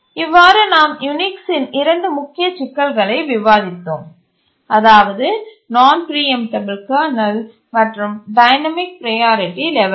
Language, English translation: Tamil, So we just saw two major problems of Unix, non preemptible kernel and dynamic priority levels